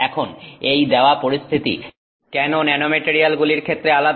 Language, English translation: Bengali, Now, given this situation, why is it different for nanomaterials